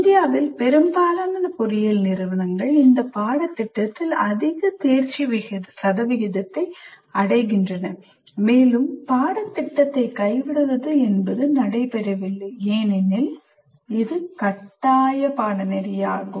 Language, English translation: Tamil, And in India, most engineering institutes achieve a high pass percentage in this course, and dropping out of the course is not an option because it's compulsory